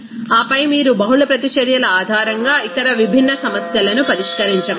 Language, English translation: Telugu, And then you will be able to solve other different problems based on that multiple reactions